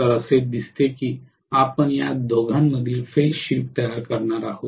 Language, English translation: Marathi, So it will look as though you are going to create a phase shift between these two